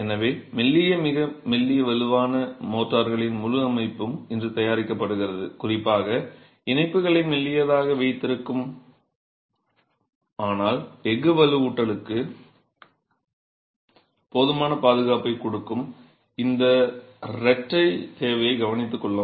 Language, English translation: Tamil, So, an entire family of thin, ultra thin, strong motors are being prepared today particularly to take care of this twin requirement of keeping joints thin but giving adequate protection to the steel reinforcement